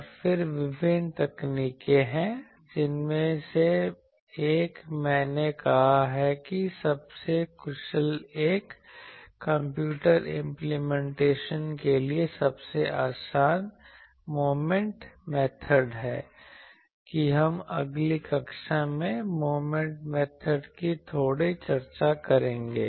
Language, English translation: Hindi, And then will, with there are various techniques one of that I said most efficient one most easy for computer implementation is Moment method that we will discuss a bit of Moment method in the next class